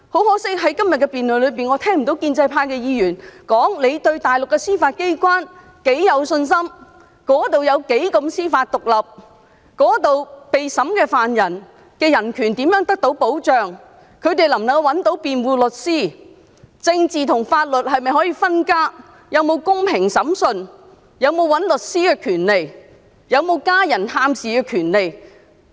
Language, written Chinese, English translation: Cantonese, 可惜，在今天的辯論中，我聽不到建制派議員提及他們對大陸司法機關有多大信心，當地的司法獨立有多高水平、受審疑犯的人權怎樣得到保障、疑犯能否找到辯護律師、政治和法律是否分家、是否有公平審訊、是否有聘用律師的權利、是否有被家人探視的權利等。, Regrettably in the debate today I have not heard Members from the pro - establishment camp mention their confidence in the Mainland judiciary the high degree of judicial independence of the Mainland the protection of the human rights of suspects under trial the suspects access to defence counsel the separation of politics and laws the access to fair trial the right to appoint lawyers and the right to be visited by family members and so on